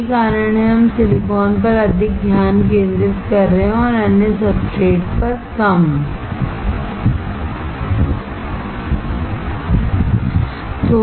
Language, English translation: Hindi, That is why we are focusing more on silicon and less on other substrates